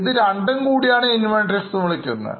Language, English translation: Malayalam, All these taken together are known as inventories